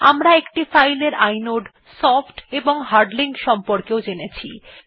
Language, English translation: Bengali, We also learnt about the inode, soft and hard links of a file